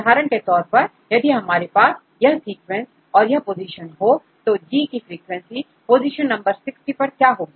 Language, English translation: Hindi, So, for example, if we have this sequence this position; so what is the frequency of G at position number 60